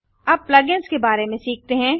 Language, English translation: Hindi, Now lets learn about plug ins.What is a Plug ins